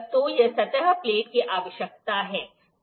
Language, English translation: Hindi, So, this is the requirement of the surface plate